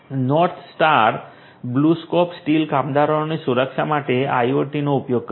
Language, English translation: Gujarati, North Star BlueScope Steel uses IoT for worker safety